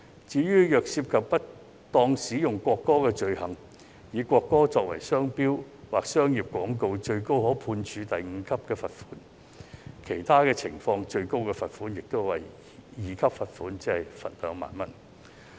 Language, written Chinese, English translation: Cantonese, 至於涉及不當使用國歌的罪行，例如以國歌作為商標或商業廣告，最高可判處第5級罰款，其他情況則最高可處第2級罰款，即2萬元。, The offence of misuse of the national anthem such as using the national anthem in a trade mark or commercial advertisement is liable to a maximum fine at level 5 and in other circumstances to a maximum fine at level 2 which is 20,000